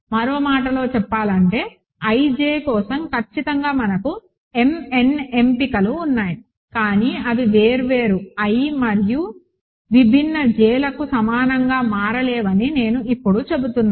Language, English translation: Telugu, In other words, certainly we have m n choices for ij, but I am now saying that they cannot become equal for different i and different j